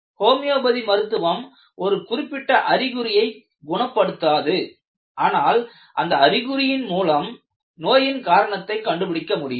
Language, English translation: Tamil, If you look at, homeopathy does not treat symptoms, but addresses the root cause of a disease through the symptoms